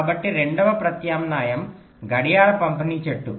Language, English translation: Telugu, the second alternative is the clock distribution tree